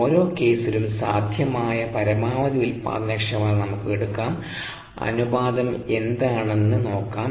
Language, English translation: Malayalam, let us take the maximum possible productivity in each case and let us see what the ratio is standing out to be